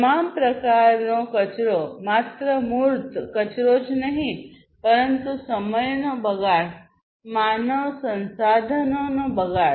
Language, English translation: Gujarati, Wastes of all kinds not just the tangible wastes, but wastage of time waste, you know, wastage of human resources, and so on